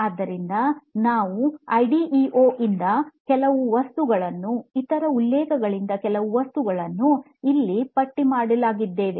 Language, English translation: Kannada, So we are going to use the some of the material from IDEO, some materials from other references that are listed as well